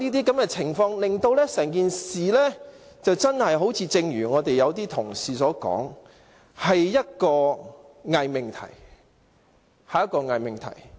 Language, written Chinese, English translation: Cantonese, 這些情況令整件事情真的好像有些同事所說般，是一個偽命題。, That makes the incident seem to be a false proposition as some Members suggested